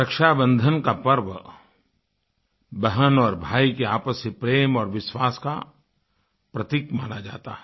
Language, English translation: Hindi, The festival of Rakshabandhan symbolizes the bond of love & trust between a brother & a sister